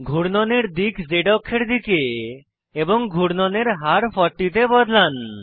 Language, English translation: Bengali, Change the direction of spin to Z axis and rate of spin to 40